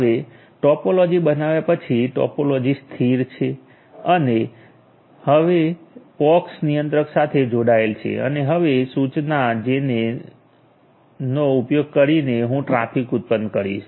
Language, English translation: Gujarati, Now after creating the topology, the topology is stable and it is connected to the POX controller now using the command gen so, I will generate the traffic ok